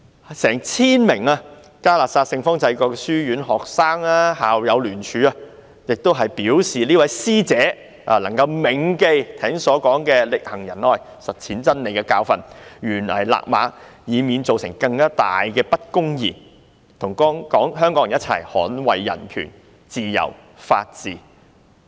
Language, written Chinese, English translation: Cantonese, 近千名嘉諾撒聖方濟各書院的學生和校友聯署，希望這位師姐能夠銘記剛才說"力行仁愛實踐真理"的教訓，懸崖勒馬，以免造成更大的不公義，與香港人一同捍衞人權、自由、法治。, Close to 1 000 students and alumni of St Francis Canossian College have put down their signatures to call on this senior alumnus of theirs to remember to live by the truth in love and rein in at the brink of the precipice in order not to aggravate injustice and join hands with Hong Kong people to uphold human rights freedom and the rule of law